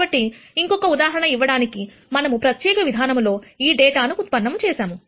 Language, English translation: Telugu, So, to give you another example, we have generated this data in a particular fashion